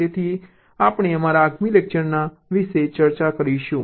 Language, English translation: Gujarati, so this we shall be discussing in our next lecture